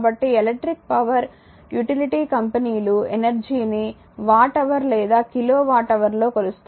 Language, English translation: Telugu, So, the electric power utility companies measure energy in watt hour or kilo watt hour right